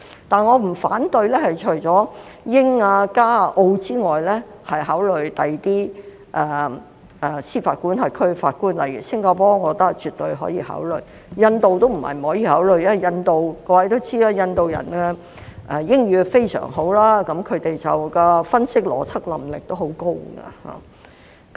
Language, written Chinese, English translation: Cantonese, 但是，除了英、加、澳外，我不反對考慮其他司法管轄區的法官，例如新加坡，我覺得絕對可以考慮；印度並非不可以考慮，各位也知道，印度人的英語非常好，他們的分析及邏輯能力亦很高。, Nevertheless I do not oppose the appointment of judges from jurisdictions other than UK Canada and Australia . For example I think judges from Singapore can definitely be taken into consideration . Judges from India are not out of the question as Indians are proficient in English with good analytical and logical skills as everyone knows